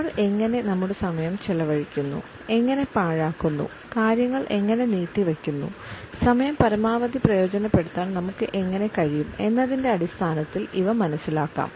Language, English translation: Malayalam, And these can be understood in terms of how do we spend our time, do we waste it, do we keep on postponing things, are we able to utilize the time to its maximum